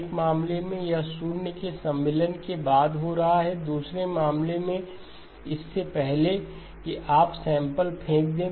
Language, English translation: Hindi, In one case it is happening after the insertion of zeros, in the other cases before you throw away samples